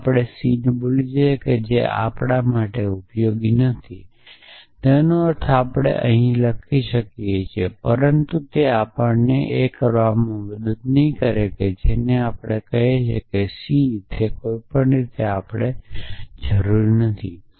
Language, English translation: Gujarati, So, let us forget on table c that is not useful for us I mean we can write it, but it does not help us green a and that is say it is on table c there any way we do not really need that